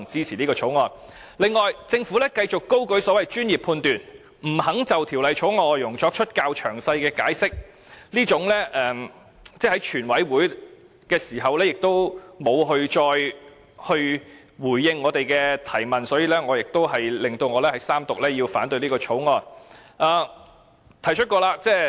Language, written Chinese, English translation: Cantonese, 此外，政府繼續高舉所謂專業判斷，不肯就《條例草案》的內容作較詳細的解釋，而在全委會審議階段時亦沒有再回應我們的提問，在在都令我要反對三讀這項《條例草案》。, Furthermore the Government has continued to highlight the so - called professional judgment and refused to give a detailed explanation of the Bill . Nor had it responded to our questions again during the Committee stage . All these have led to my objection to the Third Reading of the Bill